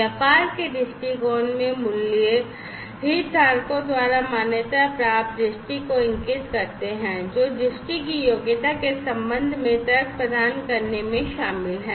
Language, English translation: Hindi, The values in the business viewpoint indicate the vision, recognized by the stakeholders, who are involved in funding providing the logic regarding the merit of vision, and so on